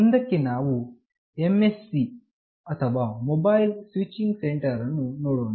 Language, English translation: Kannada, Next we see this MSC or Mobile Switching Center